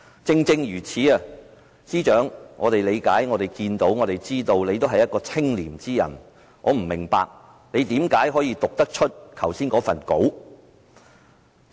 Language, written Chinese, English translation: Cantonese, 正正如此，我們理解到、看到，也知道司長也是一個清廉的人，我不明白他為何可以讀出剛才那篇講稿？, Precisely for this reason as in our view and perception the Chief Secretary is a person with integrity and I do not understand why he can read aloud such a speech just now